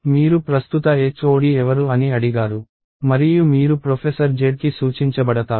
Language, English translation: Telugu, You ask who the current HOD is and you get pointed to professor Z